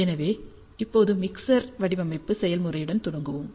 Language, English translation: Tamil, So, let us start with the mixer design process now